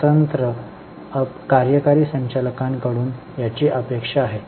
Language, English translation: Marathi, This is expected from independent non executive directors